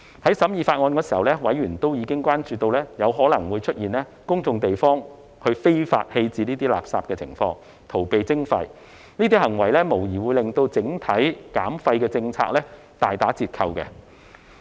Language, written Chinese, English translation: Cantonese, 在審議《條例草案》時，委員已關注到有可能出現在公眾地方非法棄置垃圾，以逃避徵費的情況，這種行為無疑會令整體減廢政策大打折扣。, During the scrutiny of the Bill members have expressed concern about the possibility of people illegally disposing of waste in public places in an attempt to evade the charge . There is no doubt that such behaviour will greatly undermine the overall waste reduction policy